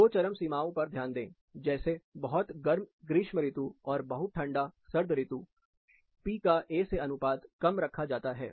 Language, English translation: Hindi, Considering two extremities, both pretty hot summers, as well as pretty cold winters, the P by A ratio is kept low